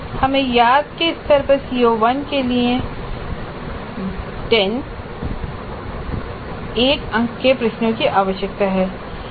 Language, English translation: Hindi, We need 10 one more questions for CO1 at remember level